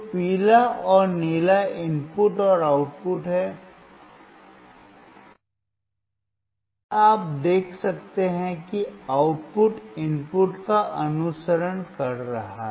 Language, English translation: Hindi, So, yellow and blue are the input and output, and you can see that the output is following the input